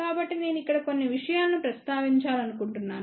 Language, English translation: Telugu, So, I just want to mention a few things over here